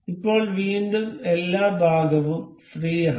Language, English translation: Malayalam, Now at again both of these are free